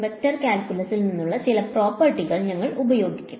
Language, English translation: Malayalam, We will use some properties from vector calculus